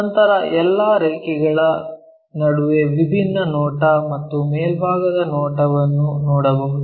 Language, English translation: Kannada, Then, among all lines what we can see a different view and the top view